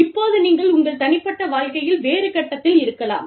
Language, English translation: Tamil, Now, you may be at a different stage, in your personal life